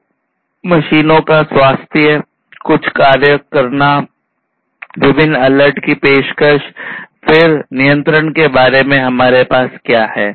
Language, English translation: Hindi, So, health of the machines, taking some actions, offering different alerts; then, for control we have what